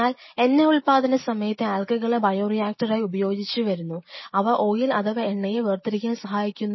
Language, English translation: Malayalam, Lot of oil production which is happening the algae we are using algae as the bioreactor, because it is producing algae we have isolating the oil and that is it